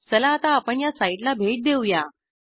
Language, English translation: Marathi, Let us visit this site now